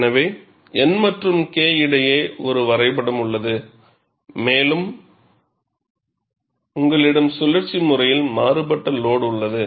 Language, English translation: Tamil, So, I have a graph between N and K, and you have cyclically varying load